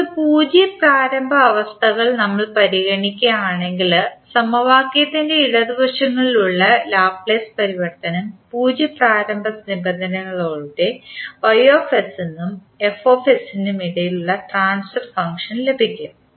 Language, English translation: Malayalam, Now, if you consider the zero initial conditions the transfer function that is between y s and f s can be obtained by taking the Laplace transform on both sides of the equation with zero initial conditions